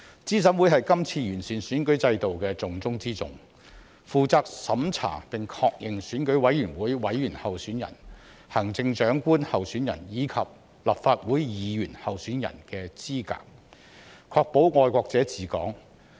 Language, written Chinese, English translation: Cantonese, 資審會是這次完善選舉制度的重中之重，負責審查並確認選舉委員會委員候選人、行政長官候選人及立法會議員候選人的資格，確保"愛國者治港"。, CERC is a most important element in this exercise on improving the electoral system . It is responsible for reviewing and confirming the eligibility of candidates for Election Committee members the office of Chief Executive and Members of the Legislative Council so as to ensure patriots administering Hong Kong